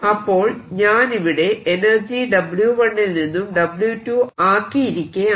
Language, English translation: Malayalam, so i have changed energy from w one to w two